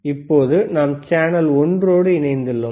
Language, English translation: Tamil, And this is these are both channels together